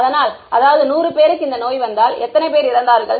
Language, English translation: Tamil, So; that means that if 100 people got this disease, how many died